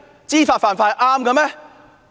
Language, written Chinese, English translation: Cantonese, 知法犯法是正確嗎？, Is it right to break the law knowingly?